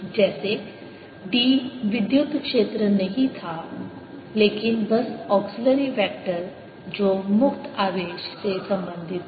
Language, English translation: Hindi, h, just like d was not electric field but just an auxiliary vector which was related to free charge